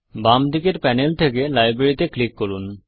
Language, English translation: Bengali, Let us click the library on the left hand side panel